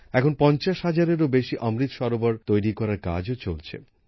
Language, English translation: Bengali, Presently, the work of building more than 50 thousand Amrit Sarovars is going on